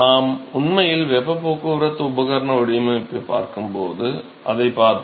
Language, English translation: Tamil, So, we will see that when we actually look at the heat transport equipment design